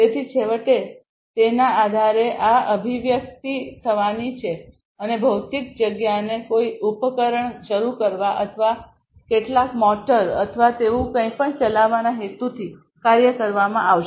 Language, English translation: Gujarati, So, finally, based on that the actuation is going to happen and the physical space will be actuated with the intention of you know starting some device or operating some, you know, some motor or anything like that